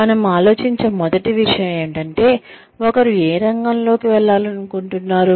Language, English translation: Telugu, The first thing, we think of is, how does one select, which field, one wants to go in